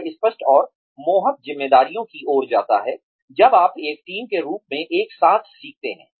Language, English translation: Hindi, It leads to clear and enticing responsibilities, when you learn together as a team